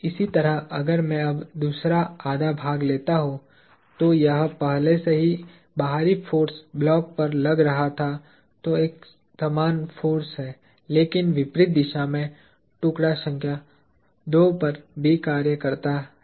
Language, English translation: Hindi, Likewise, if I now take the other half, this was already the external force acting on the block; there is an equal force, but in the opposite direction acting on the piece number II as well